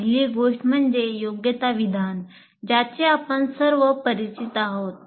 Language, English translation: Marathi, First thing is competency statement that we are all familiar with